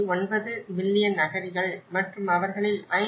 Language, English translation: Tamil, 9 million refugees and out of which 5